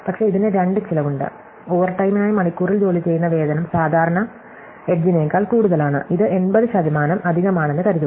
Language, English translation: Malayalam, But, there are two costs to this, the working wage per hour for overtime is typically higher than the regular edge, let us assume it is 80 percent extra